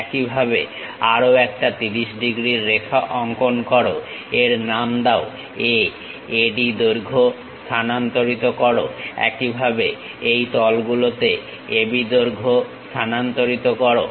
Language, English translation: Bengali, Similarly, draw one more 30 degrees line name it a transfer AD length; similarly transfer AB length on this planes